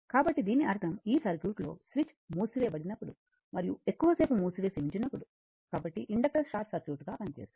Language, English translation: Telugu, So that means, I told you initially for this circuit when switch is your what you call for this circuit, when switch is closed and placed it for a long time, so inductor acts as a short circuit